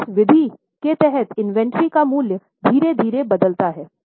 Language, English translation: Hindi, So, under this method, the value of inventory slowly changes